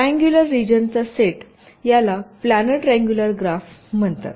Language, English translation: Marathi, this is called a planar triangular graph